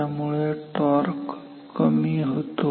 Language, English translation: Marathi, So, the torque becomes lower